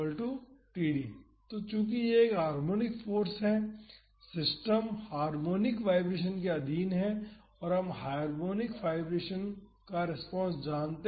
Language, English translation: Hindi, So, since it is a harmonic force the system is under harmonic vibration and we know the response of harmonic vibration